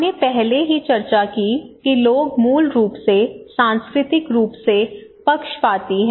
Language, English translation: Hindi, So this is fine we discussed already that people are basically culturally biased